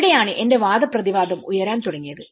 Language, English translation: Malayalam, That is where my argument started building up